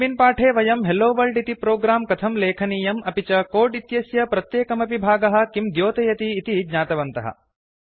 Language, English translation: Sanskrit, In this tutorial we have learnt, how to write a HelloWorld program in java and also what each part of code does in java code